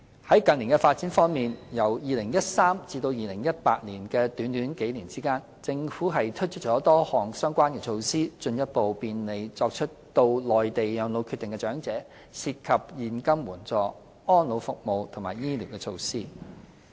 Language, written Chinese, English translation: Cantonese, 在近年發展方面，由2013年至2018年的短短數年間，政府推出了多項相關措施，進一步便利作出到內地養老決定的長者，涉及現金援助、安老服務及醫療措施。, On the recent development of cross - boundary elderly care the Government introduced a number of measures in just few years between 2013 and 2018 in the form of cash assistance elderly services as well as medical care to further facilitate Hong Kong elderly persons to reside on the Mainland if they so wish